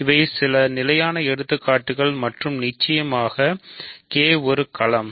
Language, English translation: Tamil, So, these are some of the standard examples and of course, K a field itself